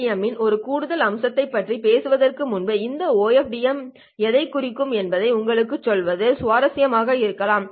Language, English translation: Tamil, Before we talk about one additional aspect of OFDM, it might be interesting to just tell you what this OFDM stands for